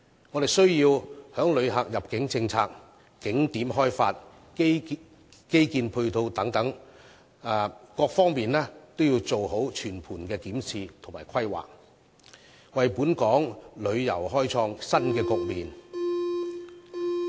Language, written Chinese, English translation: Cantonese, 我們必須在旅客入境政策、景點開發及基建配套等方面，做好全盤的檢視和規劃，為本地旅遊開創新局面。, We must conduct comprehensive review and formulate plans in respect of the immigration policies for Mainland visitors build new tourist attractions and develop infrastructure facilities etc with a view to opening up new horizons for local tourism